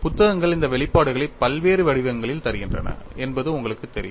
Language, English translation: Tamil, And you know books give these expressions in the various forms